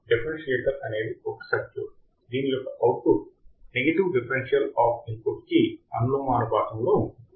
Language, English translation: Telugu, Differentiator is a circuit whose output is proportional whose output is proportional to the negative differential of the input voltage right